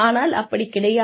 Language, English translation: Tamil, That is just not done